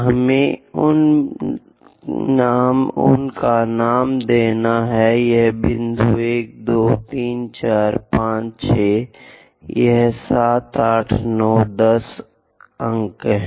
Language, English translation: Hindi, Let us label them this point is 1, 2, 3, 4, 5, 6, this 7, 8, 9, 10 points